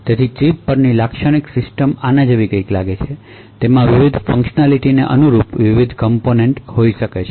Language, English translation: Gujarati, So, a typical System on Chip would look like something like this it could have various components corresponding to the different functionality